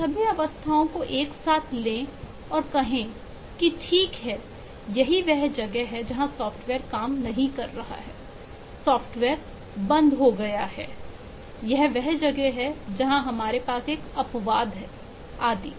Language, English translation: Hindi, so take all those states together and say, okay, this is, this is where the software is not working, this is where the software is crashed, this is where we have an exception, and so and so forth